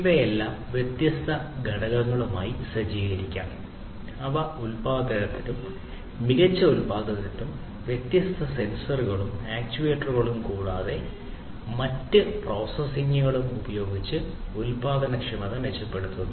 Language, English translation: Malayalam, So, all of these could be equipped with different components to make them smarter for manufacturing improved manufacturing improving the efficiency of production using different sensors and actuators and different other processing, etcetera